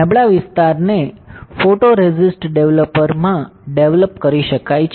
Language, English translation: Gujarati, This weaker area can be developed in a photoresist developer